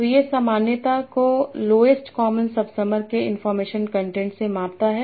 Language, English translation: Hindi, So it measures the commonality by the information content of the lowest common sub sumer